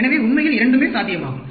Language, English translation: Tamil, So, both are possible, actually